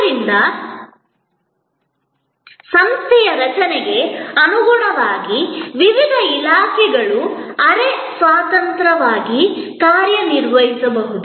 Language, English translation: Kannada, So, different departments according to the structure of the organization can operate quasi independently